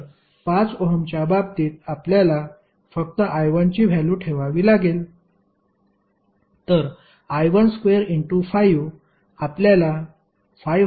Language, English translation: Marathi, So, we have to just simply put the value of I 1 in case of 5 ohm, so I 1 square into 5 you will get the value of 579